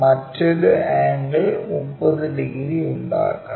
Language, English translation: Malayalam, The other angle supposed to make 30 degrees